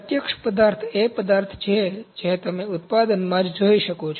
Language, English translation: Gujarati, Direct material is material that you can see in the product itself